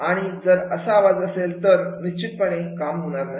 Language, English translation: Marathi, If that noise is there, then definitely it will not work